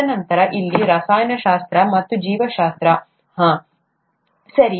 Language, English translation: Kannada, And then chemistry here, and biology hmmm, right